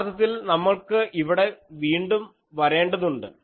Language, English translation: Malayalam, Now, you suppose actually let us again come here